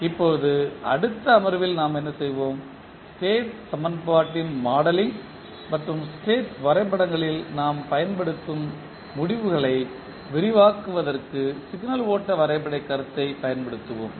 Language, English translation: Tamil, Now, in the next session what we will do, we will use the signal flow graph concept to extend in the modelling of the state equation and the results which we will use in the state diagrams